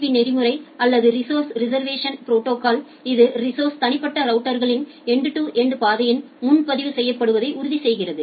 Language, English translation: Tamil, So, this RSVP protocol or the resource reservation protocol, it ensures that the resource are getting reserved in individual routers in the end to end path